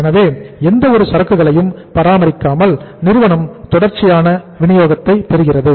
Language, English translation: Tamil, So company without even maintaining any level of inventory they get the continuous supply